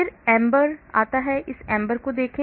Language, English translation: Hindi, Then comes AMBER, look at this AMBER